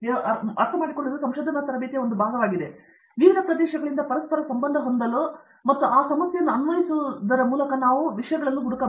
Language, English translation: Kannada, A part of the research training is towards that I understand but, to correlate from different areas and applying the same problem is something that we are finding, the students are finding it bit